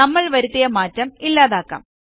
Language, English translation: Malayalam, Let us undo the change we made